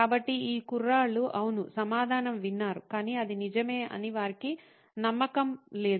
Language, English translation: Telugu, So, these guys, yes, heard the answer but they are not convinced that was really the case